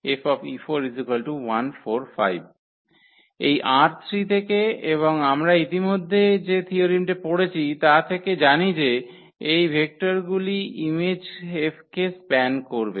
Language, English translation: Bengali, So, that is the result we have now that these are the vectors which span the image F